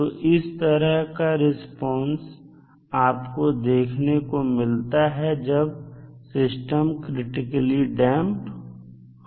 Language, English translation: Hindi, So, this kind of response you will see when the system is critically damped